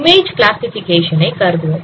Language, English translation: Tamil, So let us consider image classification